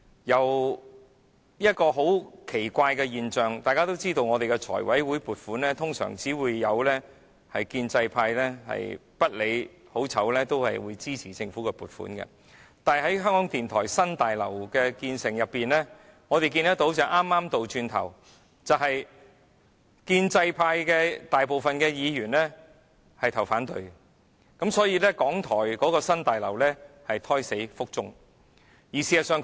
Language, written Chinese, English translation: Cantonese, 有一個很奇怪的現象，大家也知道在立法會財務委員會審議撥款時，建制派通常是不理好壞，也會一律支持通過政府的撥款申請，但有關港台新大樓的興建工程，我們看見的情況剛好是倒過來的，即建制派大部分議員也投下反對票，因此，港台的新大樓計劃胎死腹中。, A very strange situation has arisen . As we all know when the Finance Committee of the Legislative Council examines funding proposals usually the pro - establishment camp would support and approve the Governments funding applications regardless of their merits or demerits but in respect of the construction of RTHKs new Broadcasting House we can see a reversal of this situation that is the great majority of Members in the pro - establishment camp cast No votes . As a result the plan for RTHKs new Broadcasting House fell through